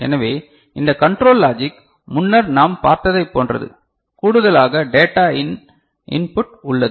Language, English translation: Tamil, So, this control logic block a similar to what we had seen before in addition we have got a data in input ok